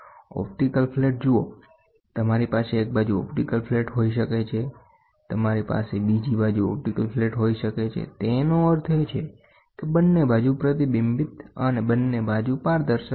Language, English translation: Gujarati, See optical flat you can have one side optical flat, you can have 2 sides optical flat; that means, to say both sides one side reflecting and both sides transparent